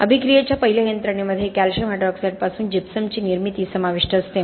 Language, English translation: Marathi, The first mechanism of reaction involves the formation of gypsum, right from calcium hydroxide